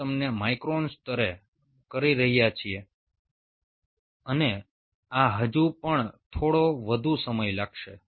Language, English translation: Gujarati, we you are doing at a micron level and these are still